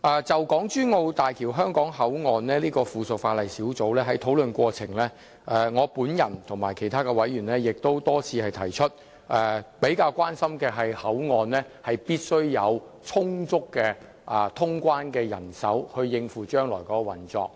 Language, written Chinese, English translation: Cantonese, 就小組委員會審議的附屬法例，在討論過程中，我與其他委員均亦多次提及口岸必須有充足的通關人手以應付將來口岸的運作。, In the course of discussing the subsidiary legislation scrutinized by the Subcommittee other members and I raised many times the necessity to provide adequate manpower for immigration clearance at HKP so as to cope with its future operation